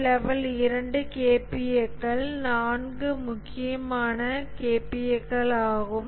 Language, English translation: Tamil, So the level 2 KPS are 4 important KPS